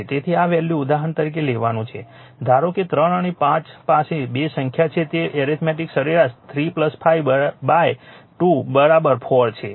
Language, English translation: Gujarati, So, this is the value you have to taken for example, suppose you have you have a 2 number say 3 and 5 it is arithmetic mean is 3 by 5 by 2 is equal to 4 right